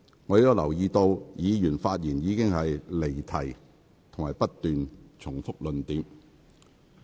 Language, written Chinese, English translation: Cantonese, 我留意到，議員發言時已出現離題及不斷重複論點。, I notice that Members have been digressing from the subject and keep repeating their arguments